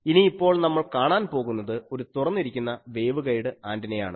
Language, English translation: Malayalam, Now, we will see an Open Ended Waveguide Antenna